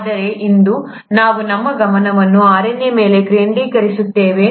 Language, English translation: Kannada, But for today, we’ll focus our attention on RNA